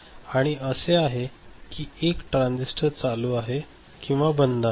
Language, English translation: Marathi, Next is these two transistors, can both of them be ON or both of them be OFF